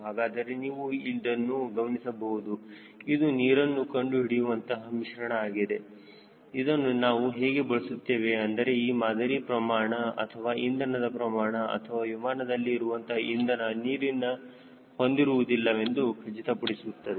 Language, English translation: Kannada, so you can see this is a paste, water finding paste, which we use to ensure that our sample or fuel sample or fuel in the aircraft tank is free of moisture